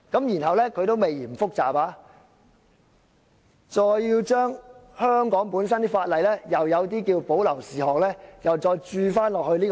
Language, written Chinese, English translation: Cantonese, 然後，還未嫌做法複雜，要將香港有關條例中的保留事項，又再注入這個"洞"。, To make the matter more complicated the reserved matter in the relevant legislation in Hong Kong will be poured back into the hole